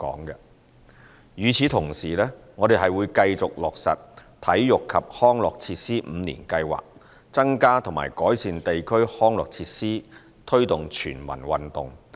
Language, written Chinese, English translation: Cantonese, 與此同時，我們會繼續落實體育及康樂設施五年計劃，增加和改善地區康樂設施，推動全民運動。, Meanwhile we will continue to take forward the Five - Year Plan for Sports and Recreational Facilities to increase and enhance the provision of district recreational facilities with a view to promoting sports for all